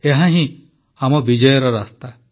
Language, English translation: Odia, This indeed is the path to our victory